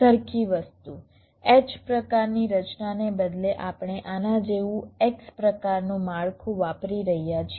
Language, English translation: Gujarati, same thing: instead of the x type structure, we are using an x type structure like this